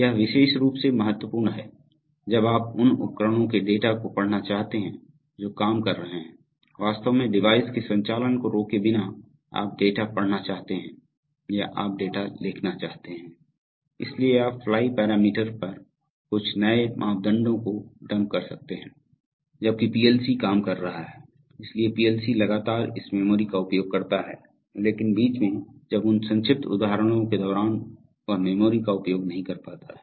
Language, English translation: Hindi, This is important especially when you want to read the data from devices which are working, without really stopping the device operation, you want to read data or you want to write data, so you can, on the fly parameterize, dump some new parameters for a PLC, while the PLC is working, so the PLC continuously uses this memory but in between, when during those brief instance, when it is not using the memory